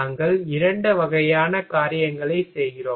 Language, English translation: Tamil, We are doing 2 kind of thing